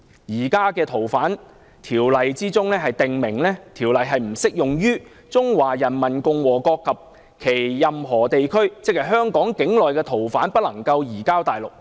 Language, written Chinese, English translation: Cantonese, 現時《條例》訂明，《條例》不適用於中華人民共和國及其任何地區，即香港境內的逃犯不能移交大陸。, The existing Ordinance provides that it is not applicable to the Peoples Republic of China and any part thereof entailing that fugitive offenders within Hong Kong cannot be surrendered to the Mainland